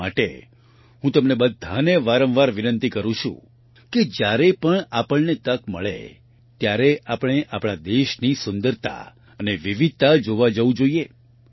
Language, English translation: Gujarati, That's why I often urge all of you that whenever we get a chance, we must go to see the beauty and diversity of our country